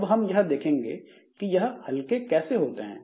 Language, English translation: Hindi, So, we'll see how is it lightweight